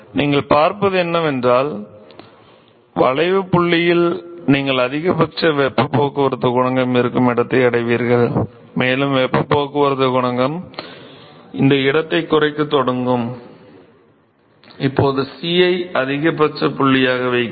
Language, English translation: Tamil, And therefore, what you will see is that at the inflexion point you will the reach the location where there is a maximal heat transport coefficient, and the heat transport coefficient will start decreasing this location now C, I put C as the maxima point ok